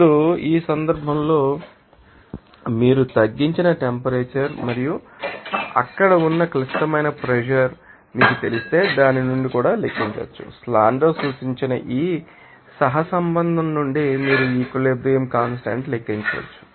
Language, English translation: Telugu, Now, in this case, this Ki are you can calculate also from you know that, if you know that reduced temperature and also you know that critical pressure there and from that you can calculate this equilibrium constant from this correlation suggested by Sandler